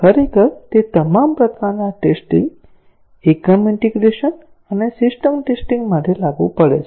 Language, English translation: Gujarati, Actually, it is applicable for all types of testing, unit, integration and system testing